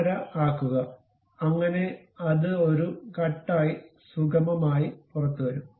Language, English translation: Malayalam, 5, so that it smoothly comes out as a cut